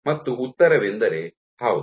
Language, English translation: Kannada, And the answer is; yes